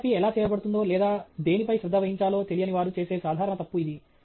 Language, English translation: Telugu, This is a common mistake many people make who are not familiar with how photography is done or what you should pay attention to